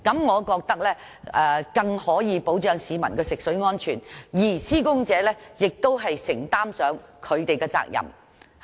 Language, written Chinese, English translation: Cantonese, 我認為這樣更可以保障市民的食水安全，而施工者亦要承擔其責任。, I think this can better safeguard the safety of drinking water for the public while the workers on the site also have to take up their responsibility